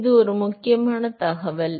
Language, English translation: Tamil, So, that is an important piece of information